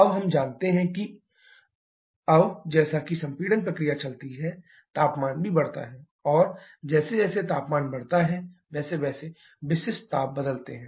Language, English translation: Hindi, Now, I know that root T 2 = T 1 into R to the power k 1, Now, as the compression process goes on the temperature also keeps on increasing and as the temperature increases corresponding specific heats change